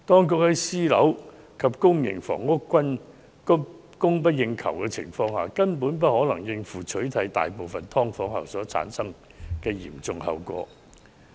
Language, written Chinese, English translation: Cantonese, 在私樓及公營房屋均供不應求的情況下，當局根本無法應付取締大部分"劏房"後所產生的嚴重後果。, With the shortage of both private and public rental housing PRH units the authorities simply cannot cope with the dire consequences ensuing from a ban on most subdivided units